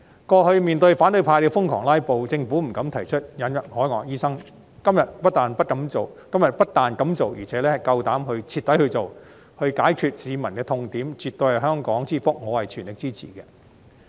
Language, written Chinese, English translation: Cantonese, 過去面對反對派瘋狂"拉布"，政府不敢提出引入海外醫生，今天不但敢做，而且夠膽徹底去做，解決市民的痛點，絕對是香港之福，我全力支持。, Previously the Government dared not propose the admission of overseas doctors in the face of the opposition camps crazed filibustering; now it not only dares to do so but also dares to get it done to sew up the sore for the people . This is definitely a blessing for Hong Kong